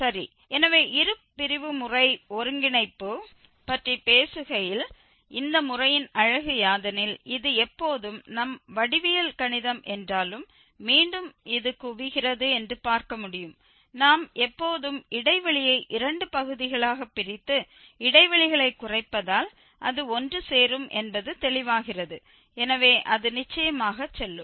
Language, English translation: Tamil, Well, so talking to the convergence of the bisection method which is the beauty of this method is that it always converges which we can see again mathematically though geometrically it is clear that it will converge because we are bisecting the interval always into two parts and narrowing down the intervals so certainly it will go